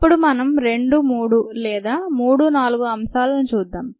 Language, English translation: Telugu, now we look at some two or three concepts, or three or four concepts